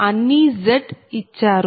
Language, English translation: Telugu, don't, it is given z